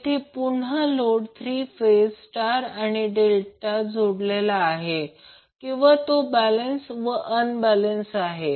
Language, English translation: Marathi, Here again, the load is three phase it can be star or Delta connected or it can be balanced or unbalanced